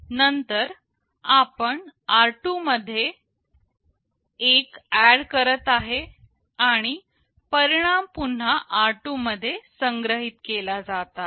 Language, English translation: Marathi, Then we are adding r2 to 1 and the result is stored back into r2